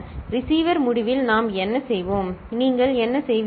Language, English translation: Tamil, At the receiver end, what we’ll, what will you do